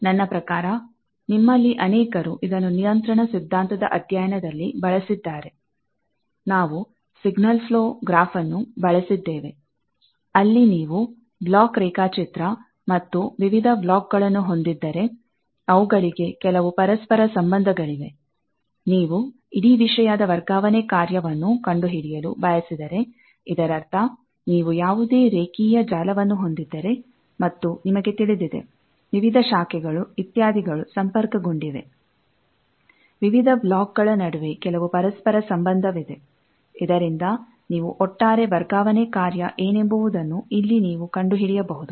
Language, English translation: Kannada, It is I think, many of you have used these, in your study of control theory, we have used signal flow graph, where, if you have a block diagram, and various blocks, they are, they have some interrelationship; if you want to find the transfer function of the whole thing, that means any linear network, if you are having, and you know that, various branches, etcetera, they are connected that there is some interrelationship between various blocks then what is overall transfer function, that you can find here